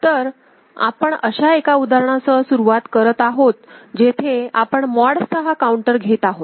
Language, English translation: Marathi, So, we start with an example where we are taking mod 6 counter ok